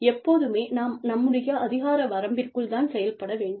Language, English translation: Tamil, We should always act, within the purview of our jurisdiction